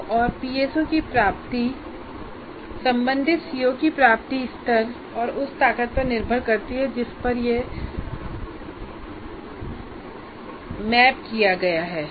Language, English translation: Hindi, So, attainment of a PO or PSO depends both on the attainment levels of associated COs of core courses and the strengths to which it is mapped